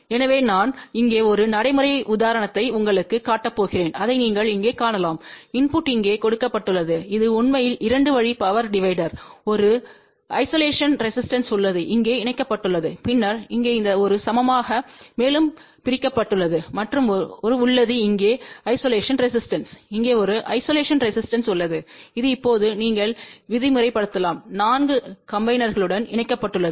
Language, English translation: Tamil, So, I am just going to show you one practical example here and that is you can see here, input is given over here this is actually a 2 way power divider there is a isolation resistance is connected over here and then this one over here is divided equally further and there is a isolation resistance here there is a isolation resistance over here and this is now you can say connected to the 4 connectors